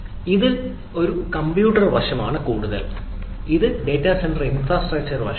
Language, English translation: Malayalam, so this is more on the compute side of it, this is more of the data center infrastructure side of it